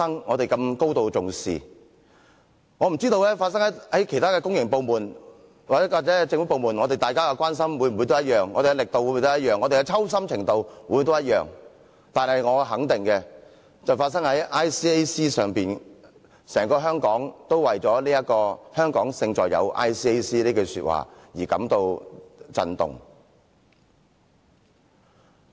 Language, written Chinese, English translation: Cantonese, 我不知道若事件發生在其他公營部門或政府部門時，我們的關心是否相同、我們的力度是否相同、我們的抽心程度是否相同，但我肯定的是，事件發生在 ICAC 時，整個香港都為了"香港勝在有 ICAC" 這句話而感到震動。, I dont know if we will feel the same concerned and work the same hard if the same incident takes places in other public organizations or government departments . But one thing for sure is that all Hong Kong people are shaken to learn that this incident took place in ICAC because the slogan Hong Kong Our advantage is ICAC is deep - rooted in us